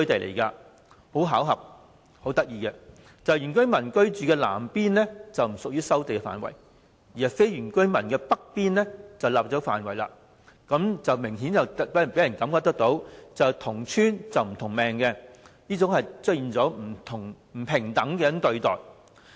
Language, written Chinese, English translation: Cantonese, 事有湊巧，原居民居住的南部不屬於收地範圍，而非原居民居住的北部則納入範圍，明顯予人"同村不同命"的感覺，出現了不平等對待。, It happened that the villages southern part inhabited by indigenous residents is not earmarked for land resumption but the northern part with non - indigenous residents is . This creates the impression that people in the same village have different fates as they are treated unequally